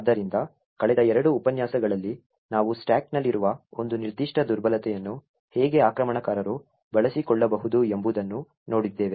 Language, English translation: Kannada, So, in the last two lectures we had actually looked at how one particular vulnerability in the stack can be exploited by the attacker